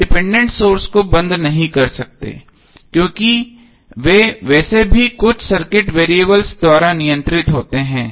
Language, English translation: Hindi, We cannot switch off the dependent sources because they are anyway controlled by some circuit variable